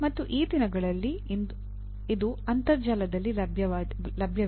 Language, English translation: Kannada, And these days it is available on the net